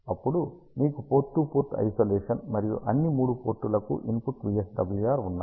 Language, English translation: Telugu, Then you have Port to Port Isolation and the input VSWR for all the 3 Ports